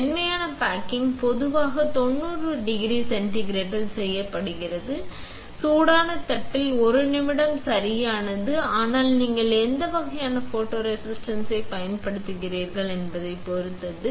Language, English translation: Tamil, Soft baking is generally done it 90 degree centigrade, right for 1 minute on hot plate but depends on what kind of photoresist you use